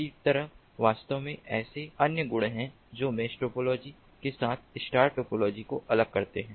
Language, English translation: Hindi, likewise, actually, there are other properties that differentiate the star topology with the mesh topology